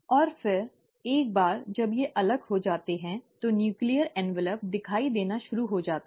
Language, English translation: Hindi, And then, once they are separated, the nuclear envelope restarts to appear